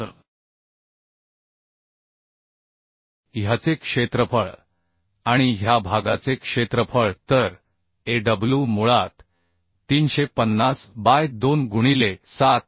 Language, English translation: Marathi, Aw is the area of this, So area of this and plus area of this right, So Aw will become basically 350 by 2 into 74